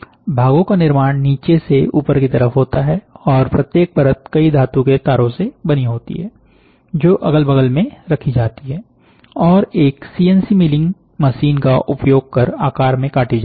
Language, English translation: Hindi, Parts are build from bottom to top, and each layer is composed of several metal foils laid side by side and trimmed using a CNC milling machine